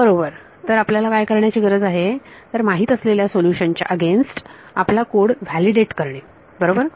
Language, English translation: Marathi, Right so, what you need to do is validate your code against the known solution right